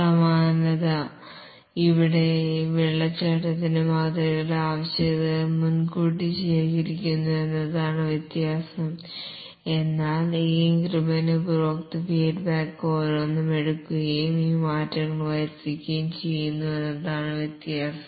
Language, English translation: Malayalam, The similarity here with the waterfall model is that the requirements are collected upfront, but the difference is that each of this increment, customer feedback is taken and these change